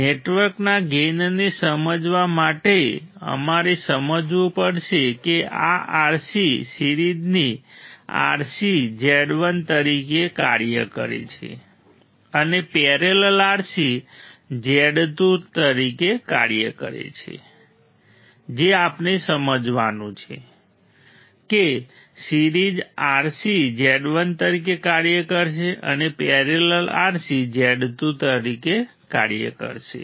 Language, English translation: Gujarati, For understanding the gain of the network we have to understand that this RC series RC acts as Z 1 and parallel RC acts as Z 2 what we have to understand series RC would act as Z 1 and parallel RC would act as Z 2 ok